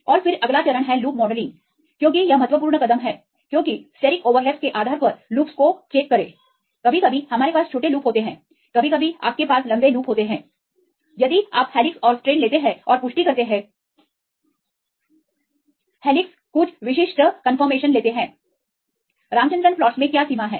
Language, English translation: Hindi, And then next is go with the loop modelling because this is the important step because the loops are the basis of them steric overlaps sometimes we have the small loops sometimes you have the longer loops right, if you take the helixes and strands and the confirmation they are restricted right helixes take some specific confirmation right, what is the range in the ramachandran plots